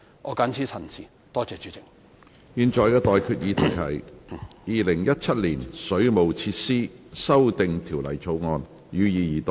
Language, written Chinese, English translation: Cantonese, 我現在向各位提出的待決議題是：《2017年水務設施條例草案》，予以二讀。, I now put the question to you and that is That the Waterworks Amendment Bill 2017 be read the Second time